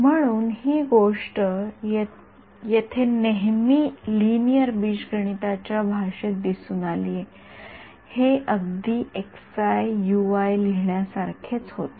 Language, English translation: Marathi, So, this thing over here they always appeared in the language of linear algebra it was like writing x i u i right